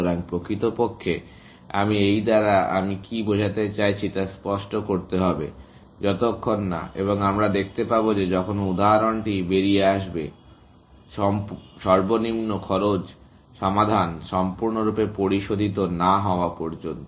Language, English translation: Bengali, So, actually, I must clarify what I mean by this, till such, and we will see this is, when the example comes out; that till the least cost solution is fully refined